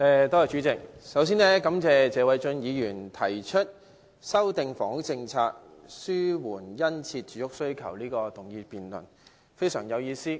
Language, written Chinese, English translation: Cantonese, 代理主席，首先感謝謝偉俊議員提出"制訂房屋政策紓緩殷切住屋需求"的議案，這項辯論非常有意思。, Deputy President first of all I thank Mr Paul TSE for moving the motion on Formulating a housing policy to alleviate the keen housing demand . The debate on this motion is very interesting